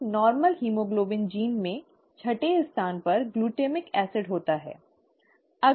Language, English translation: Hindi, In a normal haemoglobin gene, there is a glutamic acid in the sixth position